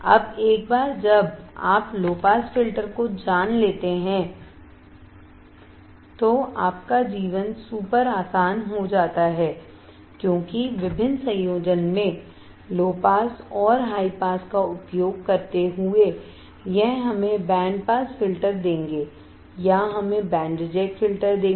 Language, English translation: Hindi, Now once you know low pass filter your life become super easy, because using the low pass and high pass in different combination, we will give us the band pass filter or we will give us the band reject filter